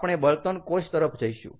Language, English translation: Gujarati, so what is the fuel cell